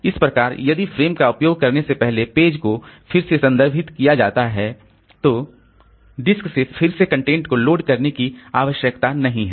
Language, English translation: Hindi, So, if page is referenced again before the frame is reused, no need to load contents again from the disk